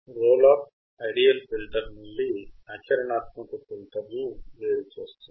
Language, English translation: Telugu, Roll off distinguishes your ideal from practical filter